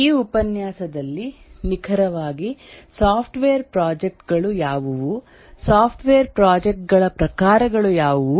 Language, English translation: Kannada, In this lecture we will discuss about what are exactly software projects